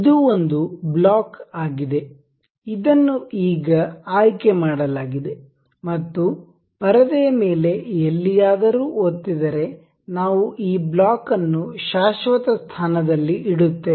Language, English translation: Kannada, This is a block, this is now selected and clicking anywhere on the screen we will place this block as a permanent position